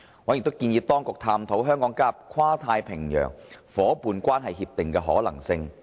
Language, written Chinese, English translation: Cantonese, 委員亦建議當局探討香港加入跨太平洋夥伴關係協定的可能性。, Members also suggested the authorities to explore the possibility of Hong Kong joining the Trans - Pacific Partnership